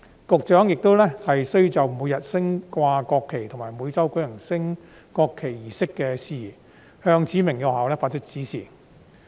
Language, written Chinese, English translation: Cantonese, 局長亦須就每日升掛國旗及每周舉行升國旗儀式的事宜向指明的學校發出指示。, The Secretary for Education must also give directions to specified schools for matters relating to the daily display of the national flag and the weekly conduct of a national flag raising ceremony